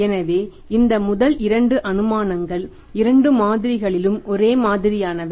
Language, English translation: Tamil, So these first two assumptions are same in both the models